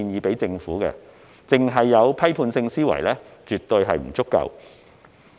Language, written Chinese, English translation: Cantonese, 單單具備批判性思維是絕不足夠的。, A critical mind alone is absolutely insufficient